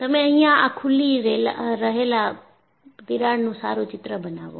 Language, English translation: Gujarati, You make a neat sketch of this crack that is opening